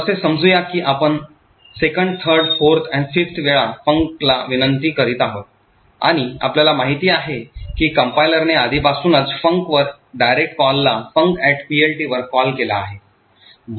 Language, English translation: Marathi, So, let us say we are making the 2nd, 3rd, 4th or 5th invocation to func and as we know the compiler has already replace the direct call to func to a call to func at PLT